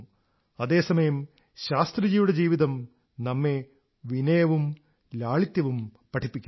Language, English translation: Malayalam, Likewise, Shastriji's life imparts to us the message of humility and simplicity